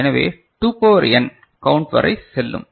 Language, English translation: Tamil, So, it will go up to the you know 2 to the power n count